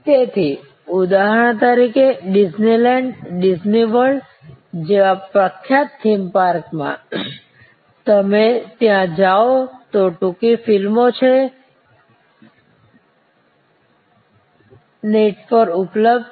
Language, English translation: Gujarati, So, for example, famous theme parts like the so called Disney land, Disney world, if you see there, the short movies which are available on the net